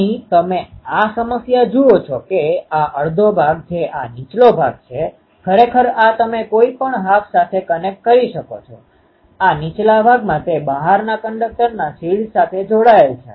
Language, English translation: Gujarati, Here you see the problem is that this lower half this half, actually this you can do ah any half you can connect like this; this lower half it is connected to the shield of the outer conductor